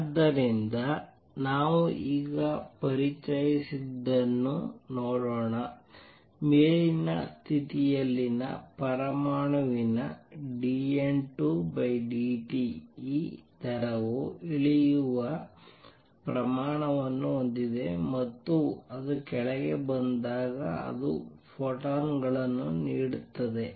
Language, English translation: Kannada, So, let us see now what we have introduced is that dN 2 by dt an atom in upper state has this rate of coming down and when it comes down it gives out photons